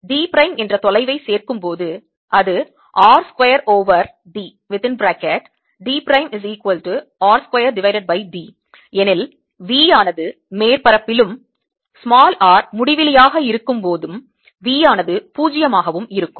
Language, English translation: Tamil, add a distance d prime which is r square over d, then v is zero on the surface and v is zero at r, equal to infinity